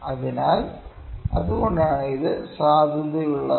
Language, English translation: Malayalam, So, that is why this is valid, ok